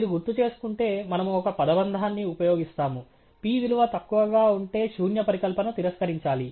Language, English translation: Telugu, And if you recall, we use a phrase if the p value is low the null hypothesis must go